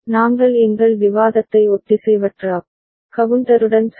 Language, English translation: Tamil, We begin our discussion with asynchronous up counter ok